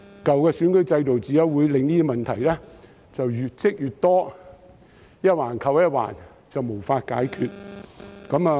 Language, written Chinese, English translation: Cantonese, 舊的選舉制度只會令這些問題越積越多，一環扣一環，無法解決。, The old electoral system will only make these problems pile up and intertwined which cannot be resolved